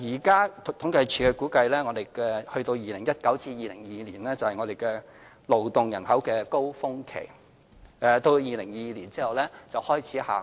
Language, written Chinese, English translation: Cantonese, 據統計處現時的估計 ，2019 年至2022年將是勞動人口的高峰期，到2022年後，勞動人口便開始下降。, According to the current estimate by CSD the size of our workforce will reach its peak between 2019 and 2022 yet after 2022 the workforce will start to shrink